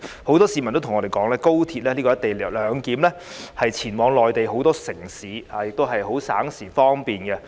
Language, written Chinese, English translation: Cantonese, 很多市民也告訴我們，透過高鐵"一地兩檢"的安排，他們能前往內地很多城市，覺得十分省時和方便。, Many people have also told us that through the co - location arrangement for the High Speed Rail they can travel to many cities in the Mainland and they find it very time - saving and convenient